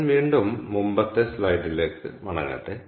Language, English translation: Malayalam, ok, so let me go back to the previous slide again